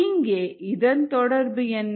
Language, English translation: Tamil, now what is the relevance here